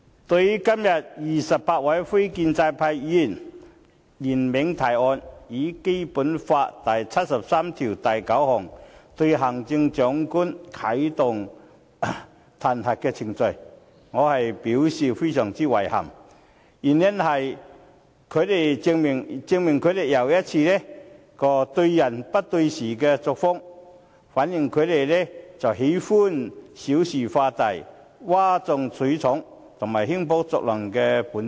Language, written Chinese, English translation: Cantonese, 對於今天28位非建制派議員聯名提案，要按《基本法》第七十三條第九項啟動對行政長官的彈劾程序，我表示非常遺憾，因為這正好又一次證明他們對人不對事的作風，亦反映他們喜歡小事化大、譁眾取寵和興風作浪的本質。, I find it most regretful that 28 non - establishment Members have jointly initiated this motion today to activate the impeachment procedures against the Chief Executive in accordance with Article 739 of the Basic Law . As always they are targeting the person rather than the matter itself and it is their nature to make a mountain out of a molehill play to the crowd and stir up trouble